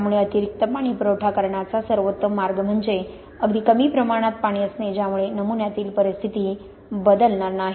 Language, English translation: Marathi, So the best way to supply extra water is just by having a very small amount of water which won't change the situation inside the sample